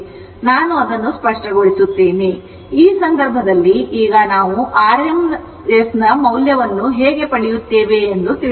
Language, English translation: Kannada, So, in this case, suppose now how we will get the r m s value